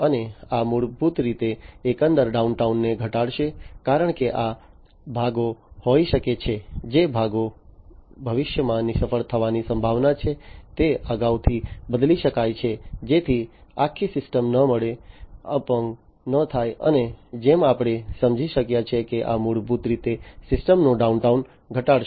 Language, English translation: Gujarati, And this basically will reduce the overall downtime, because these parts can be the, the parts which are likely to be failed in the future, they can be replaced beforehand, you know, so that the entire system does not get, you know does not get crippled and as we can understand that this basically will reduce the downtime of the system